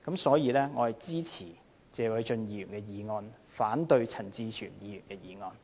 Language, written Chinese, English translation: Cantonese, 所以，我支持謝偉俊議員的議案，反對陳志全議員的議案。, Therefore I support Mr Paul TSEs motion but oppose Mr CHAN Chi - chuens motion